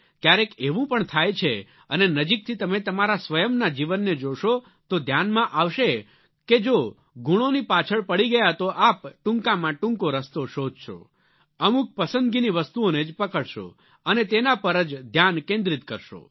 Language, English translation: Gujarati, But this also happens sometimes and if you analyse minutely the journey of your own life, you will realise that if you start running after marks, you will look for the shortest ways, and will identify a few selected things and focus on those only